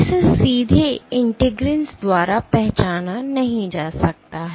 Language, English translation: Hindi, It cannot be recognized by integrins directly